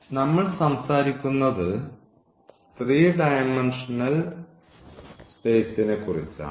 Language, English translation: Malayalam, So, we are talking about the 3 dimensional space